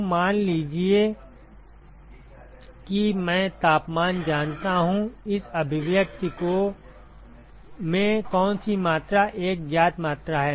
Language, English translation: Hindi, So, supposing I know the temperatures, which quantity in this expression is a known quantity